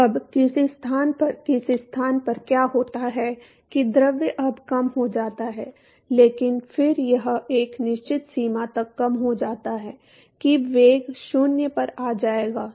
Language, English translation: Hindi, So, now at some location at some location what happens is that the fluid is now decelerated, but then it is decelerated to a certain extent that the velocity would come to 0 to the deceleration